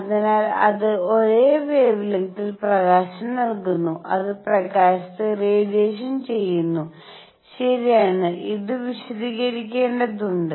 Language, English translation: Malayalam, So, at the same wavelength, it gives out light at the same wavelength, it absorbs light, alright and this had to be explained